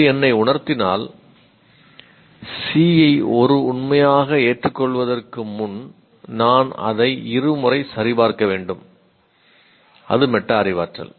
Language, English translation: Tamil, If it strikes me that I should double check C before accepting it as a fact, that is metacognition